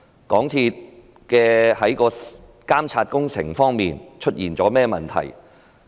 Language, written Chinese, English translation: Cantonese, 港鐵公司在監察工程方面出現甚麼問題？, What problems are there in the supervision of works by MTRCL?